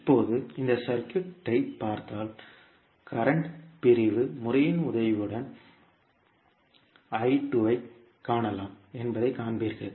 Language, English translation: Tamil, Now, if you see this particular circuit, you will see that the I2 value that is the current I2 can be found with the help of current division method